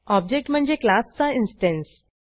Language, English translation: Marathi, An object is an instance of a class